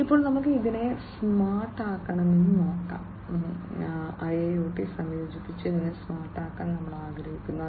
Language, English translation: Malayalam, Now, let us look at we want to make it smarter right, we want to make it smarter with the incorporation of IIoT